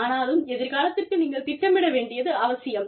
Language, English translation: Tamil, But, you need to be, able to plan, for the future